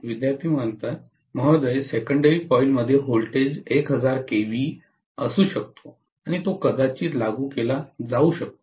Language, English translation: Marathi, Ma’am, in the secondary coil the voltage could be 1000 kilovolts, and it might be applied like…